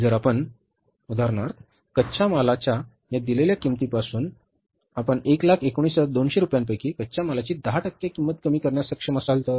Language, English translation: Marathi, If you, for example, from this given cost of raw material, if you are able to reduce even the 10% cost of the raw material, out of 1